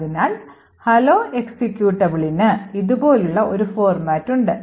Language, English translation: Malayalam, So, the hello executable has a format like this